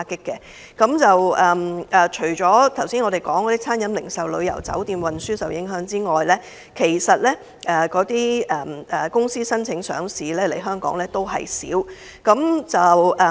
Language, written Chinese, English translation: Cantonese, 除了我們剛才提及的餐飲、零售、旅遊、酒店及運輸行業受到影響，來港申請上市的公司亦有所減少。, Not only the catering retail tourism hotel and transportation industries mentioned above have suffered the number of companies seeking listing in Hong Kong has also dropped